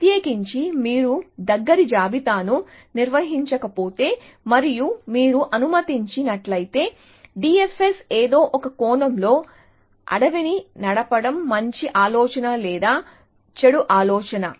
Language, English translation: Telugu, In particular, if you do not maintain a close list and you just let, D F S in some sense run wild is that was good idea or bad idea to do